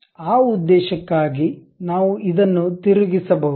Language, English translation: Kannada, So, for that purpose, we can really rotate this